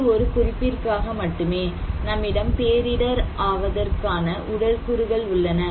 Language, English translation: Tamil, But this is just for as a reference; we can have also physical factors of disaster vulnerability